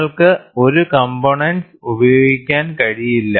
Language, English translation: Malayalam, You cannot use this component at all